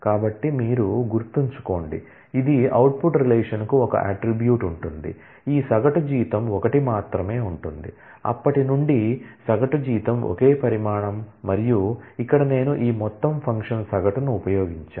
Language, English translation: Telugu, So, mind you this will output relation will have one attribute, which is average salary and since, average salary is a single quantity it will only have one, and here I have made use of this aggregate function average